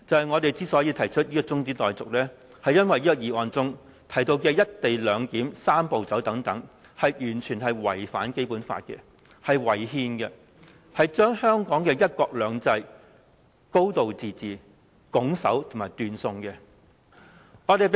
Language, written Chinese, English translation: Cantonese, 我們提出中止待續議案，是因為原議案提到的"一地兩檢"、"三步走"等完全違反《基本法》，是違憲的，是會將香港的"一國兩制"和"高度自治"斷送的。, We have proposed the adjournment debate because the co - location arrangement the Three - step Process and so on mentioned in the original motion are totally against the Basic Law and thus unconstitutional and they will deprive Hong Kong of one country two systems and a high degree of autonomy